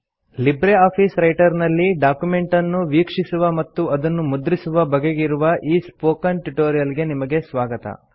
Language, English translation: Kannada, Welcome to the Spoken tutorial on LibreOffice Writer Printing and Viewing documents